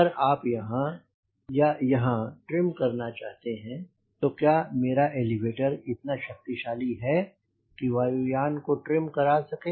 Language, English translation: Hindi, if you want to trim at here, here or here, and the question is: ah, is my elevator enough powerful to generate or to trim the aero plane